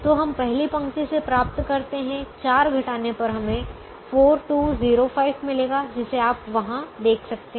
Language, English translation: Hindi, so we get from the first row, we would get, subtracting four, we would get four, two, zero, five, which you can see there